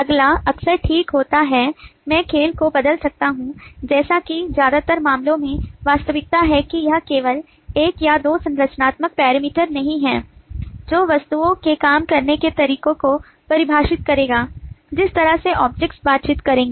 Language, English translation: Hindi, the next is often okay, i can change the game as is the reality in most cases, that it is not only one or two structural parameters that define the way objects will work, the way objects will interact